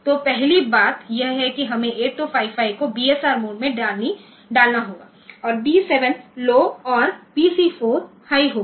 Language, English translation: Hindi, So, first thing that we have to do is put 8255 in BSR mode we and D 7 will be low and PC 4 be high